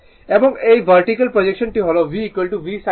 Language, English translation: Bengali, And this vertical projection this one V dash is equal to V sin alpha